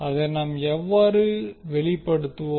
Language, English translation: Tamil, How we will express that